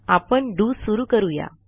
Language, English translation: Marathi, We start our DO